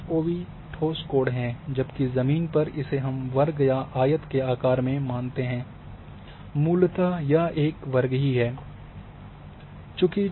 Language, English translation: Hindi, So, the IFOV be this is the solid angle, whereas in the ground we assume is square or rectangle, basically is a square and then associated